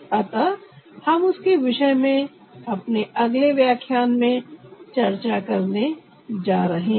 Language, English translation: Hindi, so we are going to discuss that in our next lecture